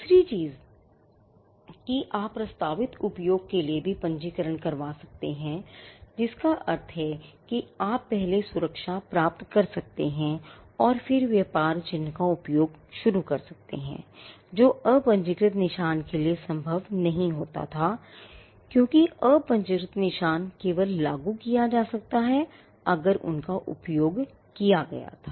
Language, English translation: Hindi, The second thing that registration brought about was, you could also register for a proposed use, which means you could get the protection first and then start using the trade mark, which was not possible for unregistered marks because, unregistered marks could only be enforced, if they were used